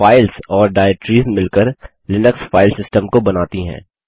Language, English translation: Hindi, Files and directories together form the Linux File System